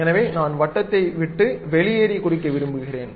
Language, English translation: Tamil, Now, I would like to draw a circle around that